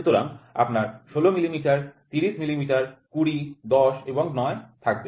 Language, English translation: Bengali, So, you will have 16 millimeter, 30 millimeters, 20, 10 and 9